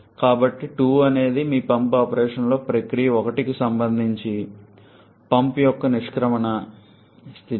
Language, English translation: Telugu, So, 2 is the exit state of the pump that is your pump operation is associated with the process 1 2